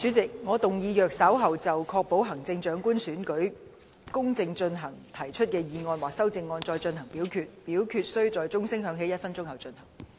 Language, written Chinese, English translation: Cantonese, 主席，我動議若稍後就"確保行政長官選舉公正進行"所提出的議案或修正案再進行點名表決，表決須在鐘聲響起1分鐘後進行。, President I move that in the event of further divisions being claimed in respect of the motion on Ensuring the fair conduct of the Chief Executive Election or any amendments thereto this Council do proceed to each of such divisions immediately after the division bell has been rung for one minute